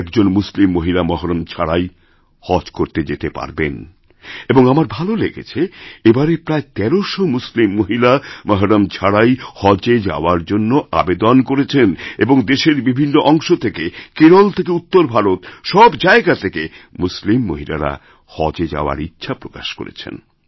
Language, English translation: Bengali, Today, Muslim women can perform Haj without 'mahram' or male Guardian and I am happy to note that this time about thirteen hundred Muslim women have applied to perform Haj without 'mahram' and women from different parts of the country from Kerala to North India, have expressed their wish to go for the Haj pilgrimage